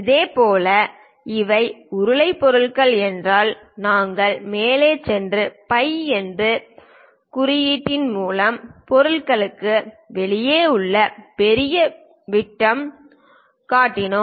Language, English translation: Tamil, Similarly, if these are cylindrical objects, we went ahead and showed the major diameters outside of the object through the symbol phi